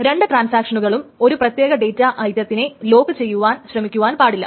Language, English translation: Malayalam, So it cannot happen that two transactions are trying to lock a particular data item